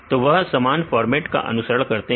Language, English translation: Hindi, So, they follow the same format